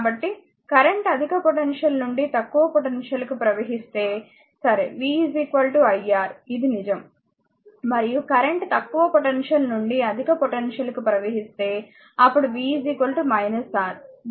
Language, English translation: Telugu, So, in therefore, your this if current flows from a higher potential to lower potential, right v is equal to iR it is true and if current flows from a lower potential to higher potential, then v is equal to minus R